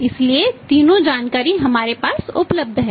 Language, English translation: Hindi, So, all the three information’s are available with us